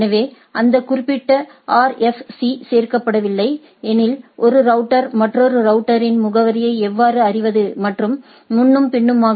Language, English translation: Tamil, So, that that particular RFC does not include or address that how a router knows the address of another router and so and so forth